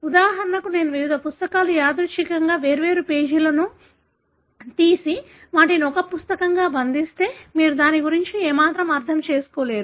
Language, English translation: Telugu, For example, if I pull out randomly different pages of different books and bind them together as a book, you will not be able to make any sense of it